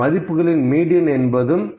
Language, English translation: Tamil, So, we can say the median is equal to 15